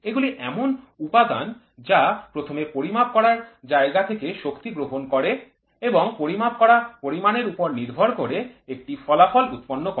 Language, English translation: Bengali, These are the element that first receives energy from the measured media and produces an output depending in some way of the measured quantity